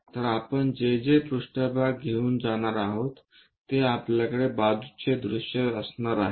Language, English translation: Marathi, So, whatever the plane we are going to get on that we are going to have is a side view